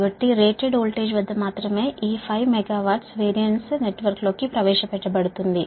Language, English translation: Telugu, that only at rated voltage this five megavar will be injected into the network